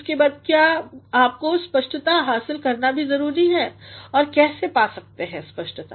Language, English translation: Hindi, Next, is you also need to achieve clarity and how can you get clarity